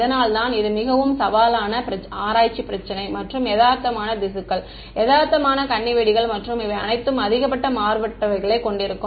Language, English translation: Tamil, This is why this is a very challenging research problem and realistic tissues realistic landmines and all they will have high contrast right